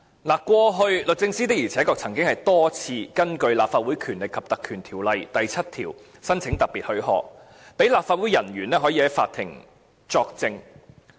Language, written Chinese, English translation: Cantonese, 律政司過去曾多次根據《立法會條例》第7條申請特別許可，讓立法會人員可以在法庭作證。, In the past the Department of Justice repeatedly applied for special leave of the Legislative Council under section 7 of the Legislative Council Ordinance for officers of the Legislative Council to give evidence in court